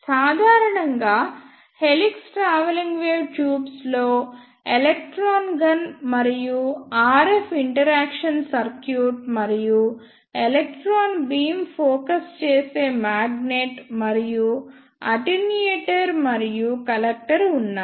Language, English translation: Telugu, In general helix travelling wave tubes contains a electron gun and RF interaction circuit and electron beam focusing magnet and attenuator and a collector